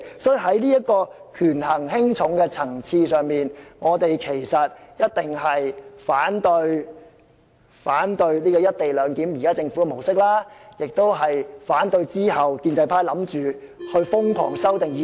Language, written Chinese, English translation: Cantonese, 所以，在這個權衡輕重的層次上，我們一定會反對現時政府"一地兩檢"的模式，也會反對建制派其後打算瘋狂......, Thus on the question of priority at this level we will surely oppose the current model of the co - location arrangement proposed by the Government and we will oppose the crazy proposals of pro - establishment Members to amend RoP